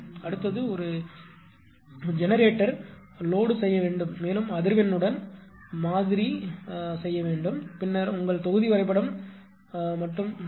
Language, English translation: Tamil, Next you have to make a generator or load also you have to model with frequency, then only your block diagram representation will be complete right